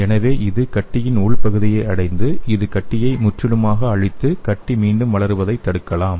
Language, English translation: Tamil, So it can reach the inner part of the tumor and it can completely eradicate the tumor and it will prevent the re occurrence of tumor okay